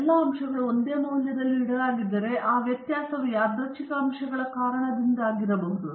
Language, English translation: Kannada, If all the factors are kept at the same values, then the variability can be due to only random factors